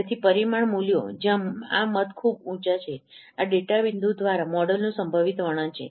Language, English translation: Gujarati, So the parameter values where these votes are quite high, those are the possible descriptions of a model through this data point